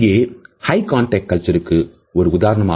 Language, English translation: Tamil, Here is an example of a high context culture